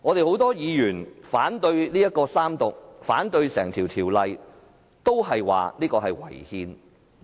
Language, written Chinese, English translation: Cantonese, 很多議員反對進行三讀，反對《條例草案》，是因為《條例草案》違憲。, Many Members oppose the Third Reading and the Bill because it is unconstitutional